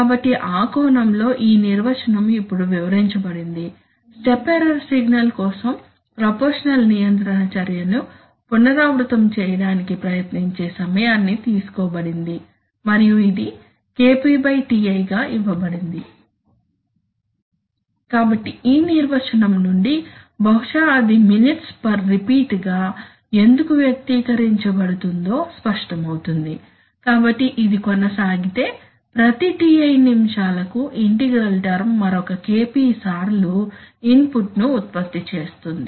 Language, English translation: Telugu, So in that sense, this definition is now explained, this time taken, this time taken to repeat the proportional control effort action for a step error signal, okay and it is given as, we all know it is given as Kp by Ti, the proportional, the integral gain is expressed as Kp by Ti, now, so from this definition perhaps it is now clear why it is expressed as minutes per repeat, so for, if this continues then every Ti minutes the integral term will produce another Kp times input right